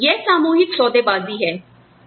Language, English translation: Hindi, So, it is collective bargaining